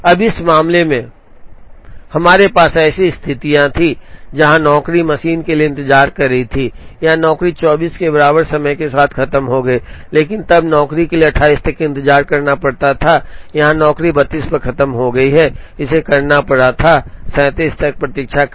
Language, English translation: Hindi, Now, in this case, we had situations, where the job was waiting for the machine, this job was over at time equal to 24, but then the job had to wait till 28, here the job was over at 32, it had to wait till 37